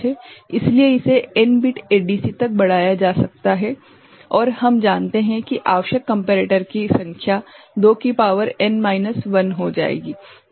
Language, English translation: Hindi, So, this can be extended to n bit ADC and we know the number of comparators required will be 2 to the power n minus 1